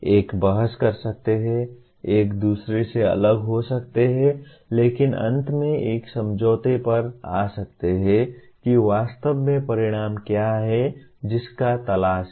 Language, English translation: Hindi, One can debate, differ from each other but finally come to an agreement on what exactly the outcome that one is looking for